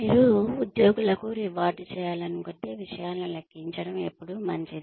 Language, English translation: Telugu, If you want to reward employees, it is always nice to quantify things